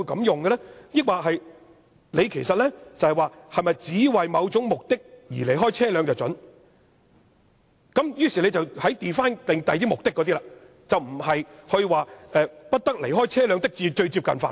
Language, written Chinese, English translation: Cantonese, 抑或其實是想說只為某種目的而離開車便准許，於是 define 其他目的，而不是說"不得離開車輛的最接近範圍"。, Would it be the case that it wishes to set out some particular purposes for which the driver will be allowed to leave the vehicle and then it defines the purposes . In other words this has nothing to do with must not leave the immediate vicinity of the vehicle